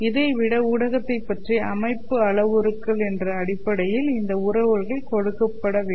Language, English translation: Tamil, Rather than that, this relationship must be given in terms of the constitutive parameters of the medium